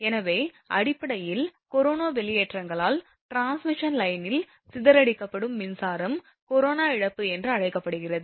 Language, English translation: Tamil, So, basically the power dissipated in the transmission line due to your corona discharges is called corona loss